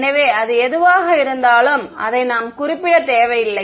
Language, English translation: Tamil, So, whatever it is we do not need to specify it